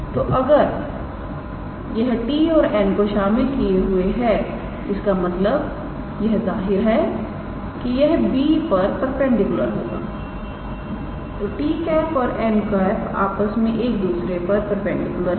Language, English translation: Hindi, So, if it is containing t and n ; that means, it is obviously perpendicular to b because t and n be are perpendicular to one another